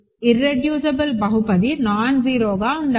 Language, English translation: Telugu, Remember, irreducible polynomial is supposed to be nonzero